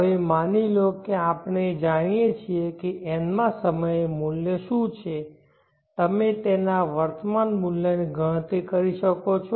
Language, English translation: Gujarati, Now suppose we know what is the amount at the nth at the P at the nth time can you calculate the present worth of that